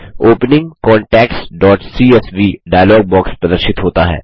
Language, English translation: Hindi, The Opening contacts.csv dialog box appears